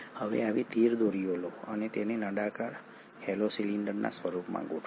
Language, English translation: Gujarati, Now take such 13 such strings and arrange them in the form of a cylinder, a hollow cylinder